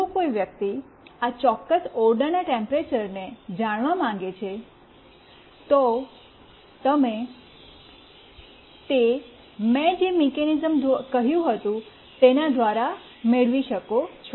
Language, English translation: Gujarati, If somebody wants to know the temperature of this particular room, you can get it through the mechanism I told you